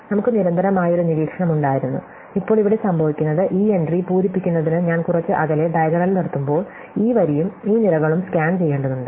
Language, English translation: Malayalam, So, we had a constant look up, now here what happens is that when I am above the diagonal at some distance in order to fill this entry, I need to scan this row and this column